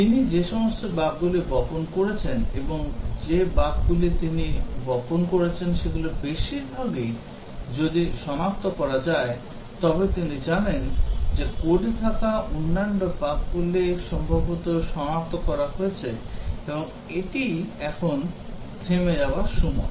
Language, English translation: Bengali, If all the bugs that he has seeded or most of the bugs that he has seeded have been detected then he knows that the other bugs that were there in the code are possibly all been detected and that is the time to stop